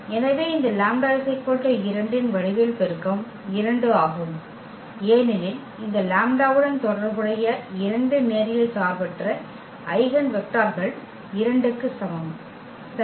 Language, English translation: Tamil, So, the geometric multiplicity of this lambda is equal to 2 is 2, because we have two linearly independent eigenvectors corresponding to this lambda is equal to 2 ok